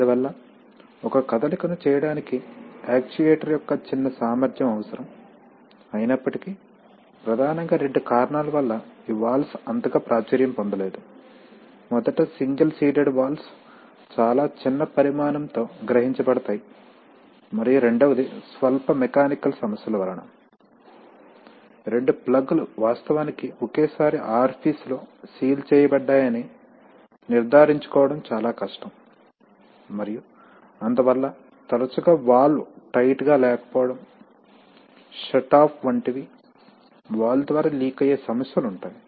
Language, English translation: Telugu, So therefore it requires a smaller capacity of the actuator to make a movement but still nevertheless these valves are not so popular because of mainly two reasons, firstly that single seated valves are can be realized with a much smaller size, number one and number two is that because of you know slight mechanical problems, it is very difficult to ensure that both the plugs actually seal thus orifice at the same time and therefore often you have problems of leaking through the valve like the shut off of the valve is not so tight